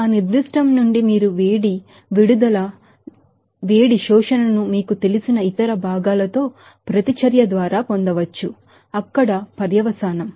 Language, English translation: Telugu, So, that can be obtained from that particular you know heat release or heat absorption by the reaction of that components with other you know, consequence there